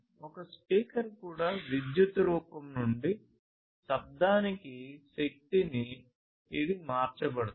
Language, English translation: Telugu, A speaker is also likewise a converter of energy from electrical form to sound